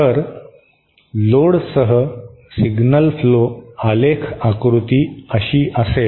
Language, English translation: Marathi, If you have a signal flow graph diagram like this